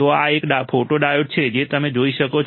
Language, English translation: Gujarati, So, this is a photodiode as you can see